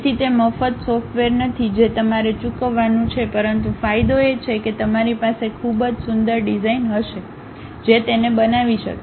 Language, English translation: Gujarati, So, it is not a free software you have to pay but the advantage is you will have very beautiful designs one can construct it